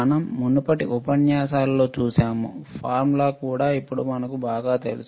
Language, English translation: Telugu, We have seen in the earlier lectures, the formula also now we know very well